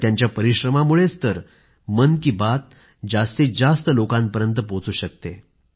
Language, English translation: Marathi, It is due to their hard work that Mann Ki Baat reaches maximum number of people